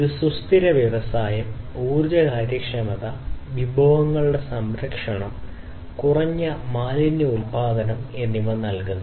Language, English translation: Malayalam, So, a sustainable industry basically provides energy efficiency, conservation of resources, and low waste production